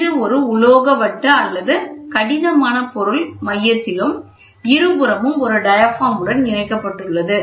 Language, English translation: Tamil, So, this enables a metal disc or rigid material is provided at the center with a diaphragm on either side